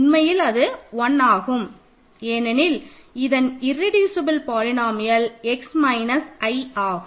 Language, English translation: Tamil, So, it is irreducible polynomial is actually x squared minus 2